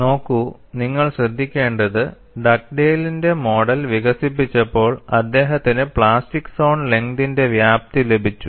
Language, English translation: Malayalam, See, you will have to note, when Dugdale developed his model, he has got the extent of plastic zone length